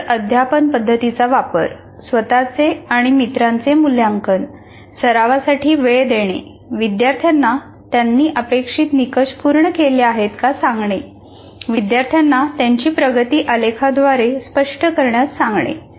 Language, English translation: Marathi, Use interactive teaching methods, self and peer assessment, give time for practice, get students to show where they have met the criteria, get students to represent their progress graphically